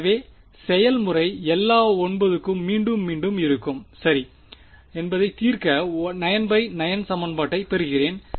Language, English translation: Tamil, So, the procedure would be repeat for all 9, I get a 9 by 9 equation to solve for ok